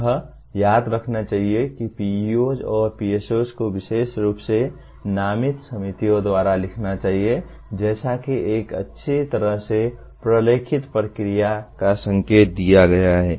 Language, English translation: Hindi, It should be remembered that PEOs and PSOs are to be written by the specially designated committees as indicated following a well documented process